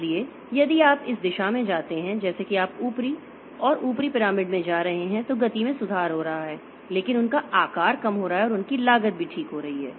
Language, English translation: Hindi, So, if you go in this direction as you are going upper and upper into the pyramid, the speed is improving but their size is decreasing and their cost is also increasing